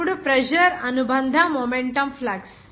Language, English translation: Telugu, Now, the pressure is the associated momentum flux